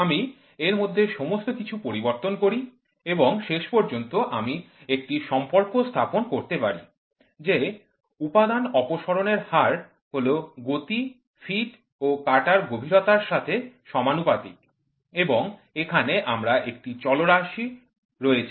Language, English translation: Bengali, I change everything in this and finally, what I come up with the relationship saying that Material Removal Rate is proportional to whatever it is proportional to feed, speed, depth of cut, in and then I have these are the variables